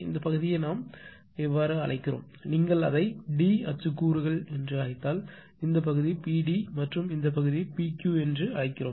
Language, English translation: Tamil, This part we are calling if you call it as a this pack as a d d x is components say this part is P d and this part is P Q right